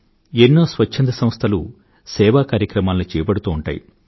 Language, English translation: Telugu, Many volunteer organizations are engaged in this kind of work